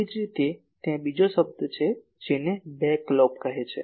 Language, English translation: Gujarati, Similarly, there is another term called back lobe